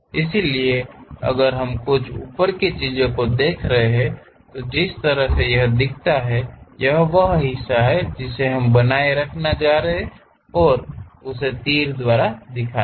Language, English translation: Hindi, So, if we are looking from a top few thing, the way how it looks like is the part whatever we are going to retain show it by arrows